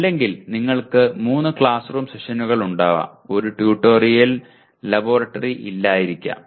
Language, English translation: Malayalam, Or you may have 3 classroom sessions, 1 tutorial and no laboratory